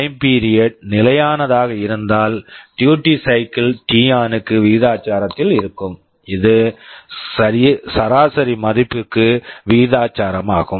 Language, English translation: Tamil, If the time period is constant, duty cycle is proportional to t on which in turn is proportional to the average value